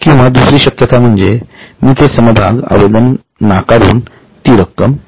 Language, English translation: Marathi, Or the other possibility is I can reject their applications and I will refund the money